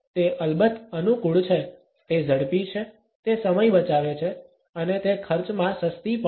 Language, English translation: Gujarati, It is convenient of course, it is quick also it saves time and it is cost effective also